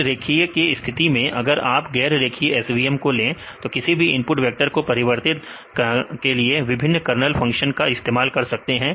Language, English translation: Hindi, In the case of linear ones, but the take the non linear SVMs right the use various kernel functions right for the transformation of the input vector right